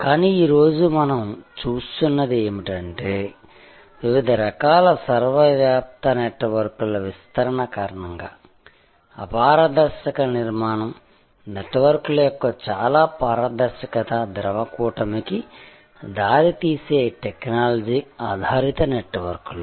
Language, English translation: Telugu, But, what we see today that because of these proliferation of different types of ubiquitous networks, technology based networks that opaque’s structure is giving way to a very transparent fluid constellation of networks